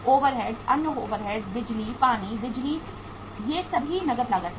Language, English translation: Hindi, Overheads, other overheads power, water, electricity all these are the cash cost